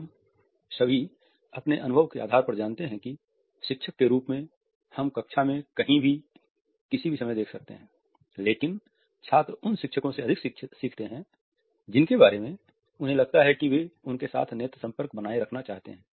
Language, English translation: Hindi, All of us know on the basis of our experience that as teachers we might be looking at anywhere in the classroom at anytime, but students tend to learn more from those teachers who they think are trying to maintained an eye contact with them